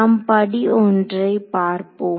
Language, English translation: Tamil, So, let us look at step 1 ok